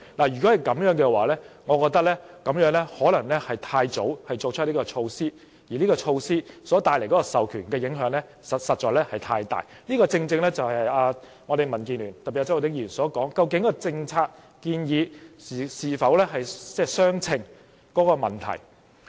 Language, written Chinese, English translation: Cantonese, 如果是這樣的話，我覺得政府可能太早提出這措施，而授權帶來的影響實在太多，這正是民建聯，特別是周浩鼎議員所說，政策建議究竟與問題的嚴重性是否相稱。, If the latter is the case I hold that the Government may have put forth this measure too early and the authorization has too many negative impacts . This is precisely what DAB or Mr Holden CHOW has questioned whether the policy initiative is proportionate to the seriousness of the problem